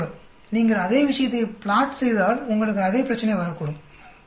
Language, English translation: Tamil, If you plot same thing, you may get same problem, right